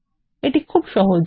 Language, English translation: Bengali, This is simple